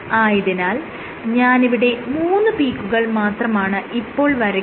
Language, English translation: Malayalam, So, this force, so I have just drawn three peaks